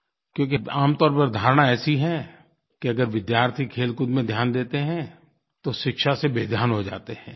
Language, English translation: Hindi, People generally nurse the notion that if students indulge in sporting activities, they become careless about their studies